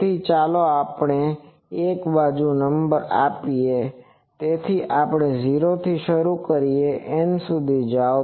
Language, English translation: Gujarati, So, let us number so from one side let us start 0 so, go to N